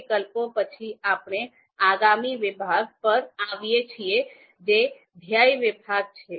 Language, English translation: Gujarati, Now after alternatives, we come to the next section that is you know goal section